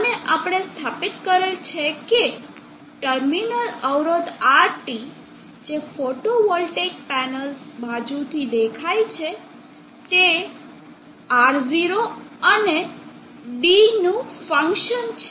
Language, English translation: Gujarati, And we have established that RT the terminal resistance as seen from the photovoltaic panels side is a function of R0 and D